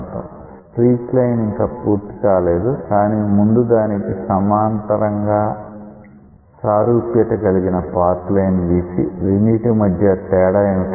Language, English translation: Telugu, This streak line is not yet complete, but we will draw a parallel analogy with the path line and see where is the difference